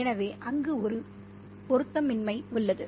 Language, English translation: Tamil, So there's a mismatch there